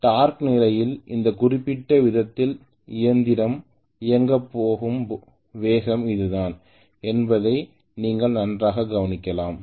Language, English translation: Tamil, Then you can very well note that this is the speed at which the machine is going to run at this particular rate at torque condition